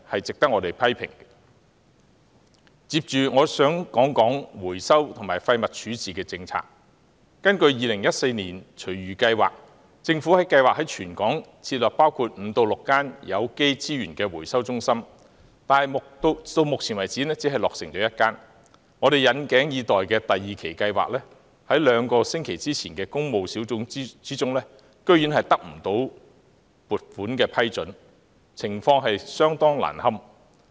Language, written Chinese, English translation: Cantonese, 根據2014年推出的《香港廚餘及園林廢物計劃 2014-2022》，政府計劃於全港設立5間至6間有機資源回收中心，但目前為止只落成1間，我們引頸以待的第二期計劃，在兩星期前的工務小組委員會會議中，撥款居然未獲批准，情況相當難堪。, According to report A Food Waste Yard Waste Plan for Hong Kong 2014 - 2022 issued in 2014 the Government plans to set up five to six organic resources recovery centres in Hong Kong yet only one has been completed so far . The long - awaited funding for stage two of the plan was surprisingly rejected at a meeting of the Public Works Subcommittee two weeks ago much to our dismay